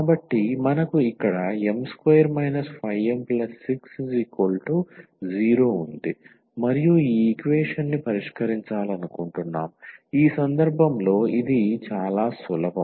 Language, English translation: Telugu, So, we have here m square we have minus 5 m then we have plus 6 here and we want to solve this equation which in this case it is it is a simple one